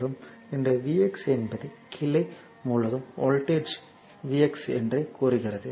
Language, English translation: Tamil, So, it and this v x is maybe it is the voltage across your across the branch say x right